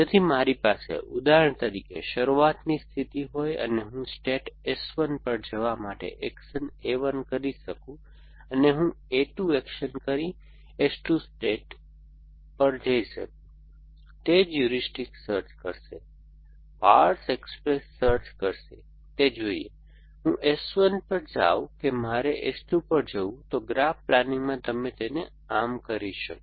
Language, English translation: Gujarati, So, if I have, for example a start state and I can do action A 1 to go to sate S 1 and I can do action A 2, do to the state S 2, that is what heuristic search would do, powers express search would do, it is a should, I go to S 1 or should I go to S 2, in graph plan what you do is